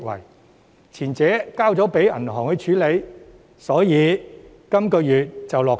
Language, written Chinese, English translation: Cantonese, 由於前者交由銀行處理，所以本月便能落實。, As the work of the former scheme has been assigned to banks it can be implemented this month